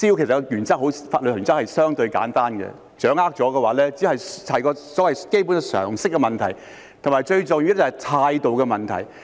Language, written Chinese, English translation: Cantonese, 有關滋擾的法律原則相對簡單，如果掌握了，這只是所謂基本常識的問題，以及最重要的是態度的問題。, The legal principles surrounding nuisances are relatively simple and if one grasps them the issue is only one concerning common sense and most importantly attitude